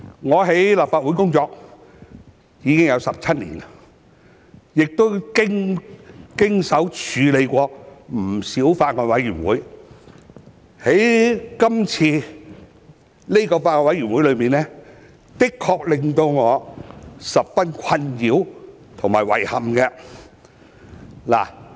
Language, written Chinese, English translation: Cantonese, 我在立法會工作已有17年，亦曾經手處理不少法案委員會，但今次這個法案委員會確實令我十分困擾和遺憾。, I have been working in the Legislative Council for 17 years and have handled many Bills Committees but this Bills Committee has really bothered me and caused me great regret